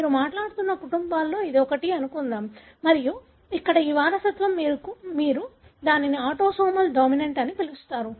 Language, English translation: Telugu, Let’s assume that this is one of the families that you are talking about and this inheritance here you call it as autosomal dominant